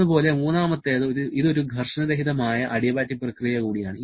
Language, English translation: Malayalam, Similarly, third one, this is also a frictionless adiabatic process